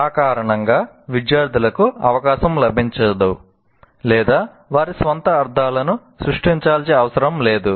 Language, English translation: Telugu, So, because of that, the students do not get a chance or need to create their own meanings